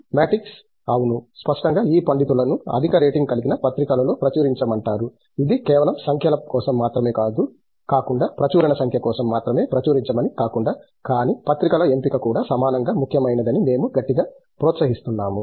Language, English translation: Telugu, The matrices’ yes; obviously, publications we strongly encourage this scholars to publish in highly rated journals not just for the numbers and not just for the number of a publication, but the choice of journals is also equally important